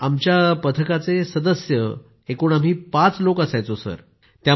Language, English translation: Marathi, Yes…team members…we were five people Sir